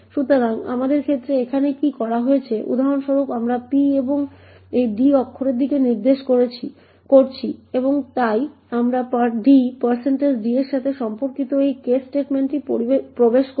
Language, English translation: Bengali, So, what is done here in this our case for example we have p pointing to this d character and therefore we get into this case statement corresponding to d % d